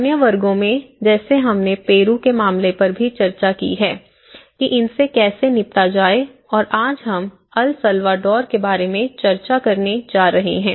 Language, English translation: Hindi, In other classes, we have also discussed in the case of Peru, how it has been dealt and today we are going to discuss about the El Salvador